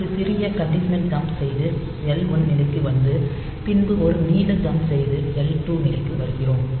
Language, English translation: Tamil, So, what we do so by a small conditional jump we come to this point L 1; and from that L 1, we put a long jump and come to L 2